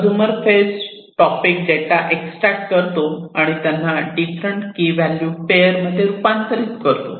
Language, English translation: Marathi, The consumer phase extracts the topic data and converts them into different key value pairs